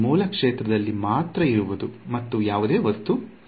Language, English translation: Kannada, Only the source field there is no object